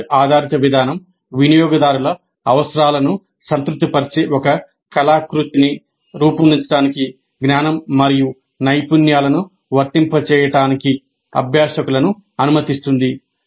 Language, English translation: Telugu, The project based approach is enabling learners to apply knowledge and skills to create an artifact that satisfies users needs